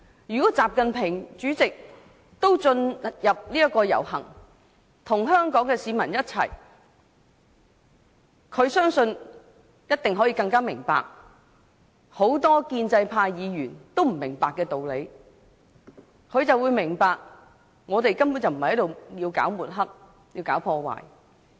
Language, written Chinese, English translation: Cantonese, 如果主席習近平也能參與遊行，與香港市民一起，我相信他一定更能明白很多建制派議員都不明白的道理，那便是我們根本不是抹黑、搞破壞。, If President XI Jinping can also take part in the march with members of the public I trust he can definitely have a better understanding of the situation . Many pro - establishment Members in fact fail to understand the situation that is we are not smearing or making trouble